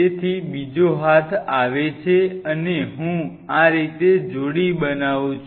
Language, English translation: Gujarati, So, another arm comes and I couple like this